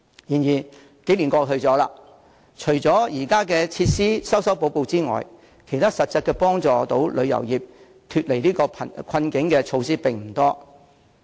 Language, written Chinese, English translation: Cantonese, 然而，數年過去了，除了就現有設施作出修補之外，其他能實質有助旅遊業擺脫困境的措施並不多。, However after a lapse of few years apart from pursuing improvements to the existing facilities not many concrete measures have been formulated to help relieving the tourism industry from its plight